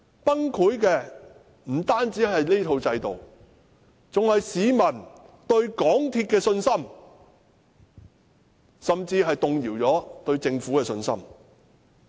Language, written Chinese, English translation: Cantonese, 崩潰的不單是這套制度，還有市民對港鐵公司的信心，甚至亦動搖了市民對政府的信心。, Not only has the system collapsed but also the public confidence in MTRCL . The public confidence in the Government has also shaken